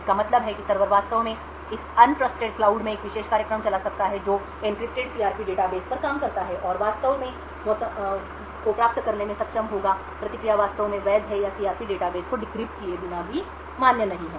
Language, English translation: Hindi, This means that the server could actually run a particular program in this un trusted cloud which works on the encrypted CRP database and would be able to actually obtain weather the response is in fact valid or not valid even without decrypting the CRP database